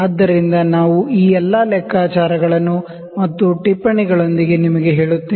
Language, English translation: Kannada, So, we will put all this calculations and word you with the notes